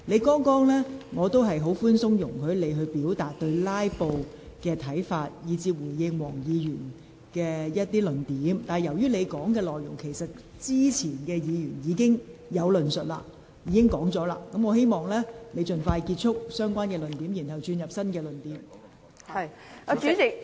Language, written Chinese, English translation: Cantonese, 剛才我比較寬鬆，容許你表達對"拉布"的看法及回應黃國健議員的論點，但由於你的論點之前已有議員論述，請你盡快結束相關論點及提出新論點。, I have tried to be more lenient just now and allowed you to express your views on filibustering and respond to the arguments raised by Mr WONG Kwok - kin . However as your arguments have already been raised previously by other Members please round up your discussions as quickly as possible and raise some new arguments